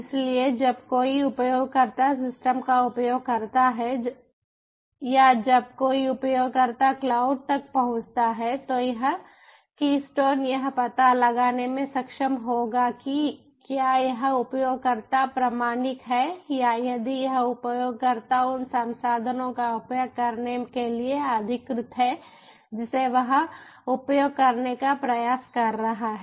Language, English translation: Hindi, so when a user access the system, or when, when a user access the cloud, this keystone will be able to detect ah if this ah user is authentic or if this user is authorized to use the ah resources that he is attempting to use